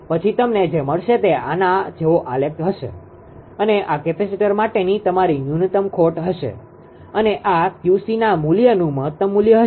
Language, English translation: Gujarati, Then what will get you will get a graph like this it will be something like this and this will be your minimum loss for capacitor and this is this is the this is the optimum value of the Q c value right